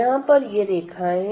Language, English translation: Hindi, So, these are the lines here